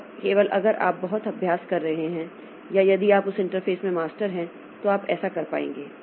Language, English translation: Hindi, And only if you are practicing a lot or if you are a master in that interface then you will be able to do that